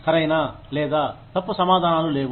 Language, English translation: Telugu, No right or wrong answers